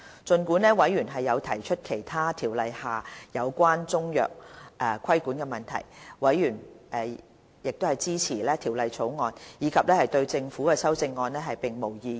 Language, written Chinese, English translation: Cantonese, 儘管有委員提出《條例》下其他有關中藥規管的問題，委員均支持《條例草案》，也沒有對政府提出的修正案表示異議。, Although some other questions were raised by members about the regulation of Chinese medicines under CMO members were supportive of the Bill . Neither was there any objection to the CSAs proposed by the Government